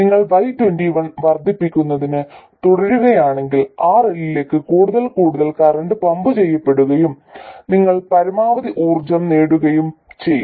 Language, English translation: Malayalam, If you go on increasing Y21, more and more current will be pumped into RL and you will maximize the power gain